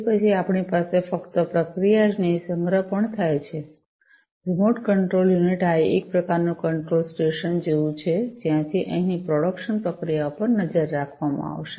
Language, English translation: Gujarati, Then we are also the processing not only the processing, but also the storage take place then we have, the remote control unit, this is sort of like the control station from which the production processes over here are all going to be monitored